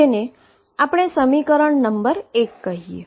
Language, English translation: Gujarati, So, that is equation number 1